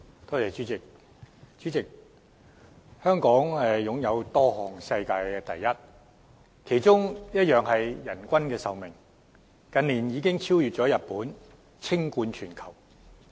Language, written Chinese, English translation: Cantonese, 代理主席，香港擁有多項世界第一，其中一項是人均壽命，近年已經超越日本，稱冠全球。, Deputy President Hong Kong owns several number one status one of which is about average lifespans . The average lifespan of Hong Kong people has exceeded that of the people in Japan over the recent years and become world number one